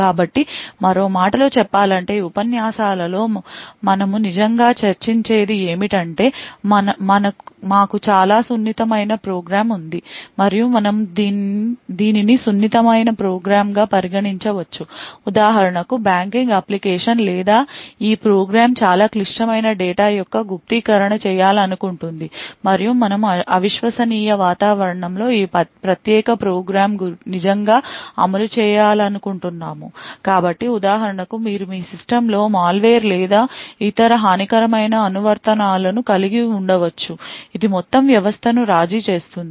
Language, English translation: Telugu, So, in other words what we actually discuss in these lectures is that we have a very sensitive program and you could consider this sensitive program for example say a banking application or this program wants to do encryption of very critical data and we want to actually run this particular program in an environment which is untrusted, So, for example you may have a malware or any other malicious applications running in your system which has compromise the entire system